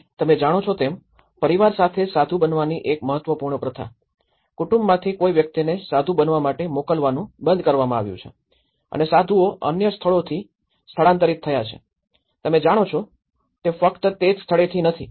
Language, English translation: Gujarati, So, again an important practice of monk practice with the family you know, sending a person from the family to become a monk has been discontinued and the monks have been migrated from other places, you know, it is not just from the same place